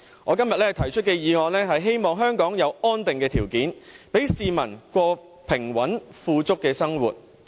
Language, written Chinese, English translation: Cantonese, 我今天提出這項議案，是希望香港有安定的條件，讓市民過平穩富足的生活。, I propose this motion today in the hope of setting out the conditions for stability in Hong Kong and enabling people to live a stable and affluent life